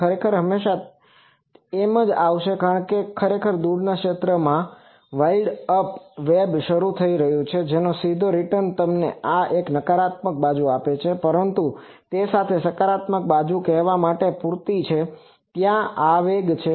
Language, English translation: Gujarati, Actually that will always come, because actually in the far field the wild up web is getting launched that there is a direct return that gives you this one negative side, but with that these positive side is enough to say that there is an impulse present